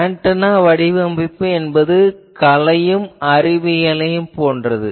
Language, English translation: Tamil, So, antenna design is something like arts as well as science